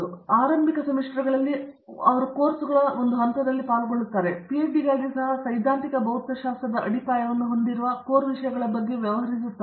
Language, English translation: Kannada, So, in the initial semesters they undergo a set of these courses, even for a PhD we have a module of foundations in theoretical physics which deals with these core subjects